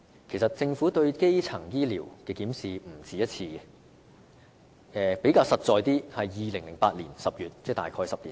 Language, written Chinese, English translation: Cantonese, 其實，政府曾不止一次對基層醫療進行檢視，較具體的例子是在2008年10月，即大概10年前。, In fact the Government has more than once conducted a review of primary health care services . A more specific example was the review conducted in October 2008 which was about a decade ago